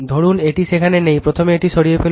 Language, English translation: Bengali, Suppose it is not there, first you remove it